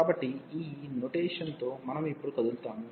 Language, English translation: Telugu, So, with this notation we move now